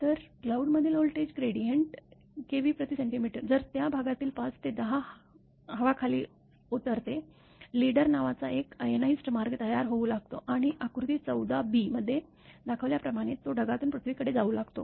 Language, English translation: Marathi, So, voltage gradient within the cloud build up at the order of if 5 to 10 kilo Volt per centimeter the air in the region breaks down; an ionized path called leader, a leader stroke starts to form, moving from the cloud up to the earth as shown in figure 14 b that mean what happen